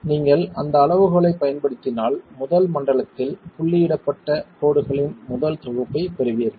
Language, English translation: Tamil, If you use that criterion you would get the first set of dotted lines in the first zone